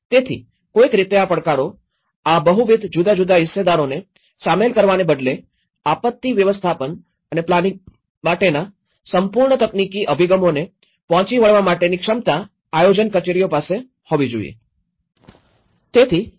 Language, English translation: Gujarati, So, these challenges somehow, they seem to lie in the capacity planning offices to overcome the purely technical approaches to the disaster management and planning instead of engaging a very multiple different stakeholders